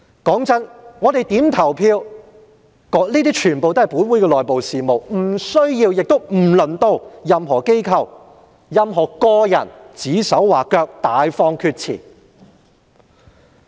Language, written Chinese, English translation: Cantonese, 坦白說，我們如何投票屬於本會的內部事務，無需亦輪不到任何機構或個人指手劃腳，大放厥詞。, Frankly speaking how we vote is an internal matter of this Council and no institution or individual is in any position to give orders and make irresponsible remarks